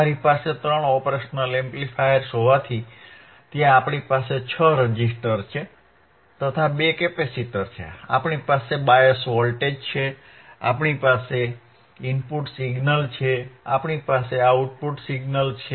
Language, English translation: Gujarati, So, three operation amplifier we have, we have six resistors, we have two capacitors, we have we have bias voltages, we have input signals, we have output signals